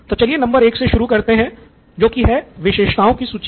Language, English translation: Hindi, Let’s start with number 1 which is list of features